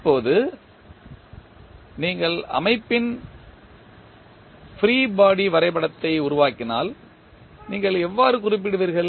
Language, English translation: Tamil, Now, if you create the free body diagram of the system, how you will represent